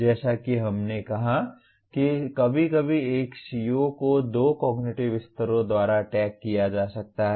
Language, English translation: Hindi, As we said occasionally a CO may have to be tagged by two cognitive levels